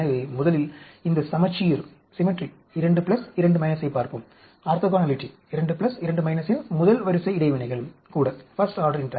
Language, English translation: Tamil, So, first we will look at this symmetry 2 pluses, 2 minuses the, the orthogonality; even the first order interactions of 2 plus, 2 minus